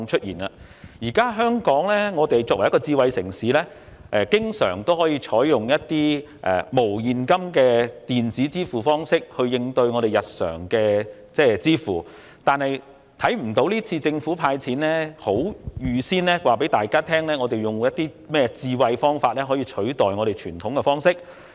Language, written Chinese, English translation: Cantonese, 現時，香港作為一個智慧城市，通常可採用一些無現金的電子支付方式作為日常付款安排，但今次卻不見得政府有就派發1萬元一事採取甚麼智慧方式以取代傳統做法。, Nowadays cashless electronic payment methods are usually adopted for making everyday payments in Hong Kong as a smart city but for this time we do not see if the Government has taken any smart approach in substitution for the traditional practice in respect of the cash handout of 10,000